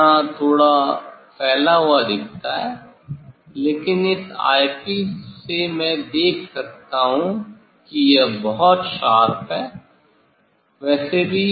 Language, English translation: Hindi, Here look slightly diffuse, but through this eyepiece I can see this is very sharp, anyway